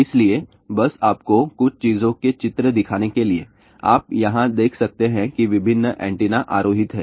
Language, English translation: Hindi, So, just to show you some of the pictures of the thing, you can see here that various antennas are mounted